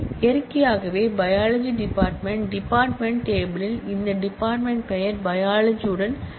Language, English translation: Tamil, Naturally, biology department should have the entry in the department table with this department name biology for this to be valid